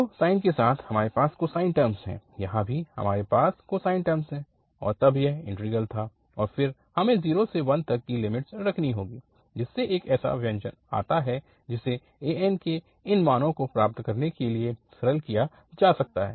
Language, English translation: Hindi, So, with the sine we have the cosine term, here also we have cosine term and then, so this was the integral and then we have to put the limits 0 to L, so which comes out to be such an expression which can be simplified to get these values of an